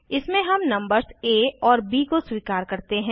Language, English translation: Hindi, In this we accept the numbers a and b